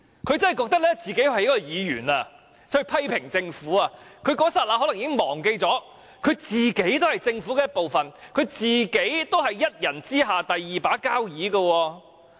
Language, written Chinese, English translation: Cantonese, 她真的以為自己是以議員的身份批評政府，在那一剎那可能已忘記她本身也是政府的一部分，是一人之下的"第二把交椅"。, She might really think that she was a Legislative Council Member criticizing the Government momentarily forgetting that she used to be a member of the government team the Number 2 official in the Government second only to one person